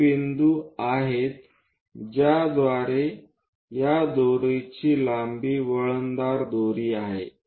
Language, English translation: Marathi, These are the points through which this rope length is a winding rope